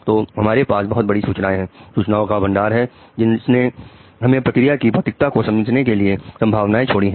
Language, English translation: Hindi, So we have huge information, the plethora of information, which has given us pockets of understanding of the physicality of the process